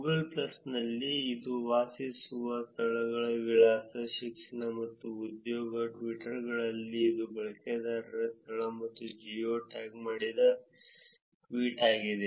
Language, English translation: Kannada, In Google plus, it is places lived address education and employment; in Twitters, it is user location and geo tagged tweet